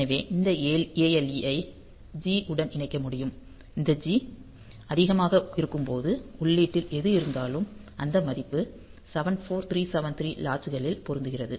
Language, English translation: Tamil, So, this ALE can be connected to G; so, when this G is high then whatever is in the input, so that value is latched on to the 74373 latch